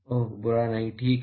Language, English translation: Hindi, Oh not bad ok